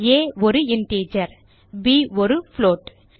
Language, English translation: Tamil, a which is an integer and b which is a float